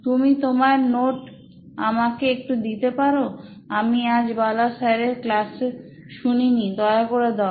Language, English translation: Bengali, Can you share your notes, I didn’t listen to Bala sir’s class today, please